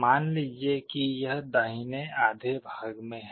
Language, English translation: Hindi, Suppose it is in the right half